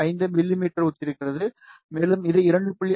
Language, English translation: Tamil, 5 mm, and this one is corresponding to 2